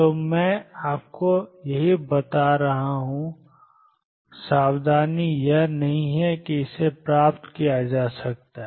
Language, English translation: Hindi, So, this is what I am telling you and the caution is do not think that it can be derived